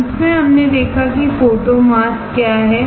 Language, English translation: Hindi, Finally, we have seen what are photo masks